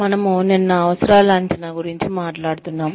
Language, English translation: Telugu, We were talking about, needs assessment, yesterday